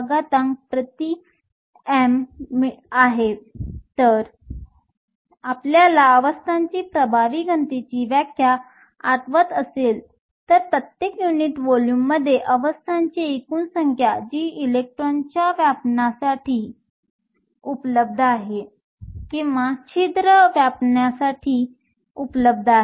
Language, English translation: Marathi, So, if you remember the definition of the effective density of states is the total number of states per unit volume that is available for the electron to occupy or the hole to occupy